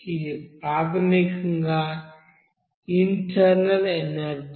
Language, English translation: Telugu, This is basically internal energy